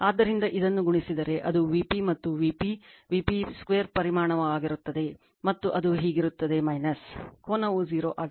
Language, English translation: Kannada, So, if you multiply this, it will be V p and V p V p square magnitude and it is theta minus theta angle will be 0